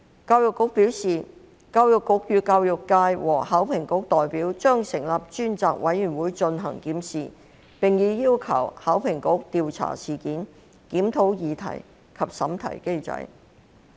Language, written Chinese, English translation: Cantonese, 教育局表示將與教育界和考評局代表成立專責委員會進行檢視，並已要求考評局調查事件，檢討擬題及審題機制。, The Education Bureau advised that it would set up a task force with representatives of the education sector and HKEAA to conduct a review and it had also requested HKEAA to investigate the incident and review the question setting and moderation mechanism